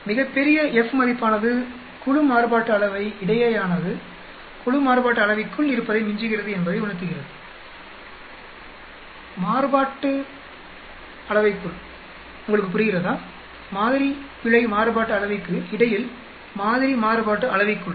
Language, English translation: Tamil, A very large F value means that between group variance surpasses the within group you understand, between sample error variance within sample variance